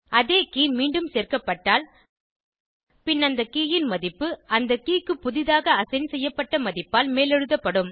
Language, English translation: Tamil, If the same key is added again, then the value of that key will be overridden by the latest value assigned to the key